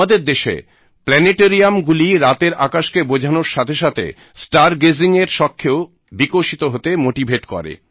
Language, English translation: Bengali, The planetariums in our country, in addition to increasing the understanding of the night sky, also motivate people to develop star gazing as a hobby